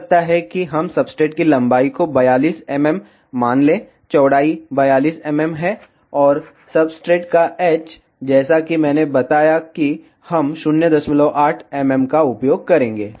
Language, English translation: Hindi, Maybe let us take substrate length as 42 mm, say width is 42 mm, and h of substrate as I told we will be using 0